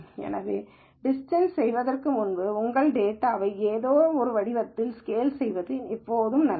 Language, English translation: Tamil, So, it is always a good idea to scale your data in some format before doing this distance